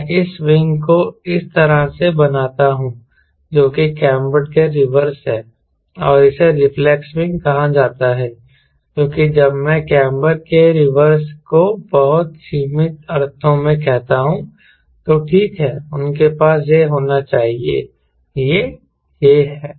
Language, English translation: Hindi, i i make this wing like this which is reverse of cambered, and this is called reflex, reflex wing, which is when i say reverse of camber in a very limited sense